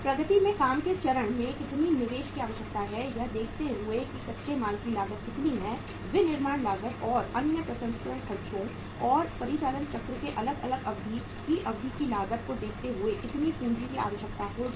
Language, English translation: Hindi, At the work in progress stage how much capital will be required looking at the cost of the raw material manufacturing expenses and other processing expenses and the duration of the say different durations of the operating cycle